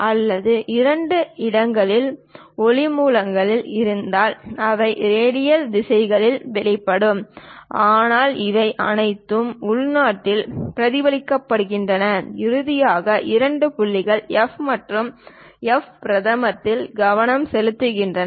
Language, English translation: Tamil, Or if we have light sources at two locations, they will be emanating in radial directions; but all these things internally reflected, finally focus two points F and F prime